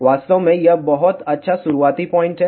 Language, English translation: Hindi, In fact, it is the very very good starting point